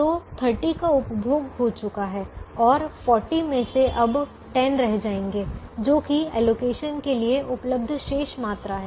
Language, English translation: Hindi, so thirty has been consumed and the forty will now become ten, which is the remaining quantity available for allocation now